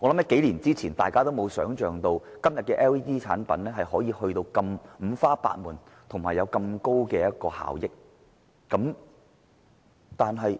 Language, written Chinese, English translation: Cantonese, 幾年前，大家或許想象不到今天的 LED 產品如此五花八門，並且有如此高的能源效益。, A few years ago no one could have imagined there are so many types of LED products today with such high energy efficiency